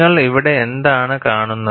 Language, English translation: Malayalam, And what do you see here